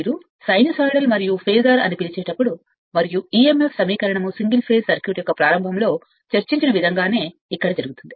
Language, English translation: Telugu, Whenever we have given that your what you call that sinusoidal and phasor and that emf equation were the beginning of the single phase circuit the same philosophy right